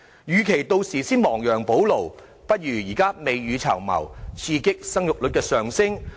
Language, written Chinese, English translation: Cantonese, 與其屆時亡羊補牢，不如現在未雨綢繆，刺激生育率上升。, It would be better to make preparations for the future now by boosting the fertility rate than take remedial actions when it is already too late